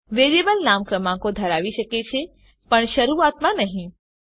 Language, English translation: Gujarati, A variable name can have digits but not at the beginning